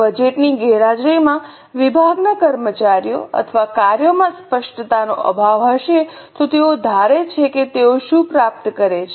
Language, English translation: Gujarati, In absence of budget, there will be lack of clarity amongst the departments, employees or functions as to what exactly they are supposed to achieve